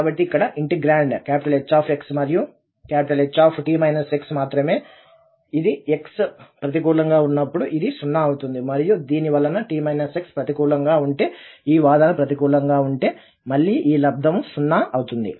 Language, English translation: Telugu, So, the integrand is just H x and H t minus x which we know that when x is positive, when x is negative this will be 0 because of this and if t minus x is negative so this argument is negative, so again this product will become 0